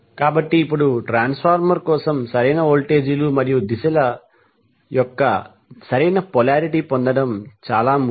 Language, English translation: Telugu, So now it is important to get the proper polarity of the voltages and directions of the currents for the transformer